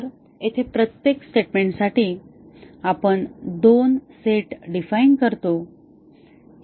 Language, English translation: Marathi, So, here for every statement we define two sets